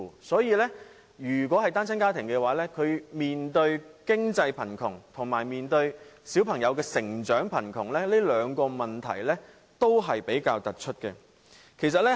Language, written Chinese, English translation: Cantonese, 所以，單親家庭面對經濟貧窮和小朋友成長貧窮，這兩個問題是比較突出的。, Therefore single - parent families are facing poverty in terms of financial situation and childrens development . These are the two rather prominent problems